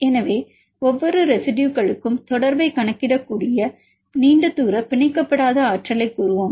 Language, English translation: Tamil, So, let us say long range non bonded energy you can see the contact for each residues